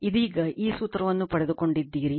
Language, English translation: Kannada, Just now, we have derived this formula